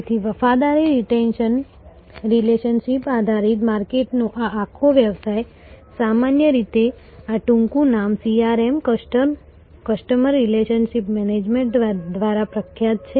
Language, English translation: Gujarati, So, this whole business of a loyalty retention relationship based marketing is generally famous by this acronym CRM Customer Relationship Management